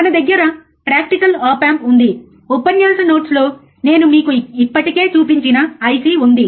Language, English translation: Telugu, We have a practical op amp, we have IC that I have already shown it to you in the lecture notes